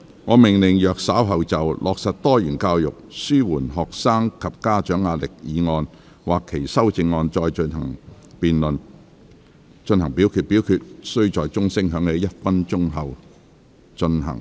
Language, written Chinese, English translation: Cantonese, 我命令若稍後就"落實多元教育紓緩學生及家長壓力"所提出的議案或修正案再進行點名表決，表決須在鐘聲響起1分鐘後進行。, I order that in the event of further divisions being claimed in respect of the motion on Implementing diversified education to alleviate the pressure on students and parents or any amendments thereto this Council do proceed to each of such divisions immediately after the division bell has been rung for one minute